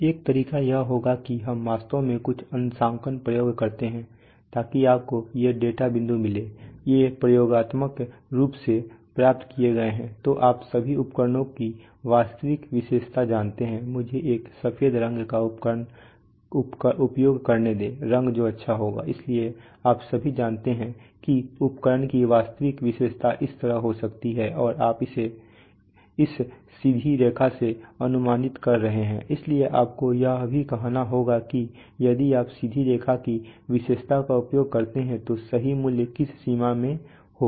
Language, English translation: Hindi, So one way would be this, that we actually perform some calibration experiments so you got these data points, so you got this data point, these are experimentally obtained, so for all you know the true characteristic of the instrument, let me use a white color that will be good, so for all you know the true characteristic of the instrument may be like this and you are approximating it by this straight line, so you have to also say that, if you use the straight line characteristics then the true value is going to be within which limit